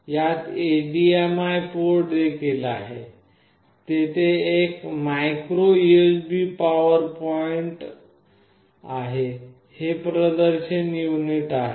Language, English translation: Marathi, It also has a HDMI port, there is a micro USB power point, this is a display port